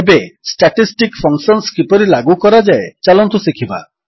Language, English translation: Odia, Now, lets learn how to implement Statistic Functions